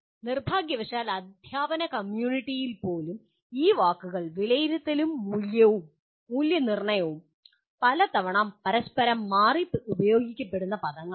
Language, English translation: Malayalam, Unfortunately, even in the teaching community, the word assessment and evaluations many times are these words are interchanged